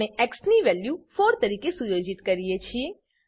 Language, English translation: Gujarati, we set the value of x as 4